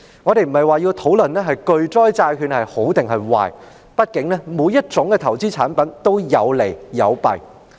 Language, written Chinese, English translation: Cantonese, 我們並非要討論巨災債券孰好孰壞，畢竟每種投資產品都有利有弊。, We have no intention to discuss whether catastrophe bonds are good or bad . After all every investment product has its pros and cons